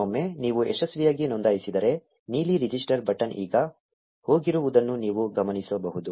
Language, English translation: Kannada, Once you register successfully, you will notice that the blue register button is now gone